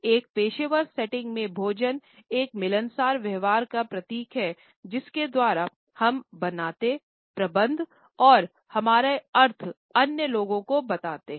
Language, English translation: Hindi, In the professional settings food function symbolically as a communicative practice by which we create, manage and share our meanings with others